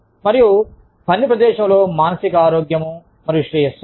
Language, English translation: Telugu, And, psychological health and well being in the work place